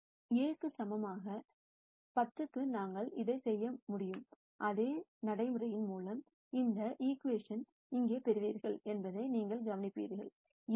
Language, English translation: Tamil, We could do the same thing for lambda equal 10, by much the same procedure you will notice that you will get this equation here 7 x 2 is 2 x 1